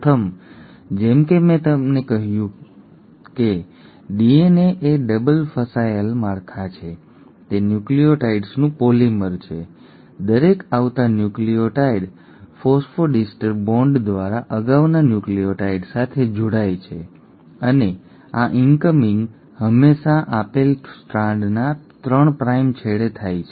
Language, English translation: Gujarati, The first one, as I told you that DNA is a double stranded structure, it is a polymer of nucleotides, each incoming nucleotide attaches to the previous nucleotide through a phosphodiester bond and this incoming always happens at the 3 prime end of the given Strand